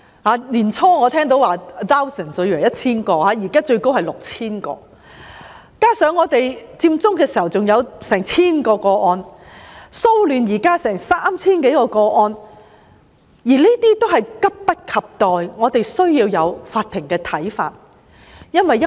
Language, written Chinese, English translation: Cantonese, 我最初還以為是 1,000 名，現在得悉最高達 6,000 名，加上佔中出現的近千宗個案，以及現時騷亂的 3,000 多宗個案，都急切需要法庭的意見。, I initially thought that there were 1 000 claimants but I am now informed that the number is as high as 6 000 . In addition there are almost 1 000 cases relating to Occupy Central and 3 000 - odd cases concerning the recent disturbances . All such cases urgently require the opinions of the court